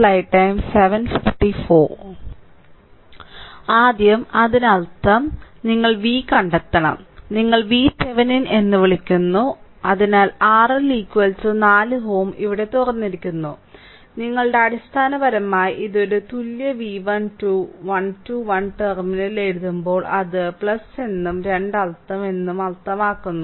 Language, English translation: Malayalam, So, first let me clear it so that means, this one if you come that you have to find out your V your, what you call the V Thevenin is equal to; so, R L is equal to 4 ohm is opened here right, and your basically this one is equal to V 1 2, when we write 1 2 1 terminal means it is plus and two means it is minus right